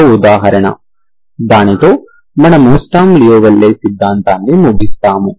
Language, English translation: Telugu, One more example, with that we will wind up sturm louisville theory